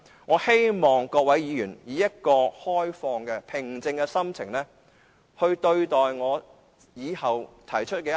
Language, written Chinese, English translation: Cantonese, 我希望各位議員以開放、平靜的心情考慮我以後提出的修訂。, I hope all Members will consider the amendments to be proposed by me in an open and calm manner